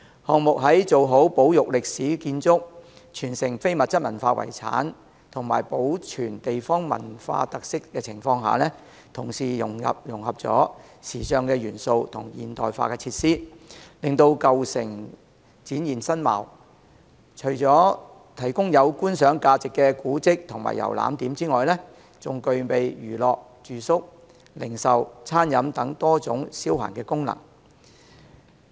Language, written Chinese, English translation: Cantonese, 項目在做好保育歷史建築、傳承非物質文化遺產及保存地方文化特色的情況下，同時融合了時尚元素和現代化設施，令舊城展現新貌，除了提供具觀賞價值的古蹟和遊覽點外，還具備娛樂、住宿、零售、餐飲等多種消閒功能。, On the premise of conserving historic buildings and preserving intangible cultural heritage and local cultural characteristics the project seeks to infuse the old city with a modern touch and modern facilities giving it a new look . Apart from a place of monuments and sightseeing spots of aesthetic values Lingnan Tiandi also serves other leisure functions such as entertainment residence retail sales catering etc